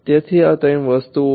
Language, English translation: Gujarati, So, these are the three things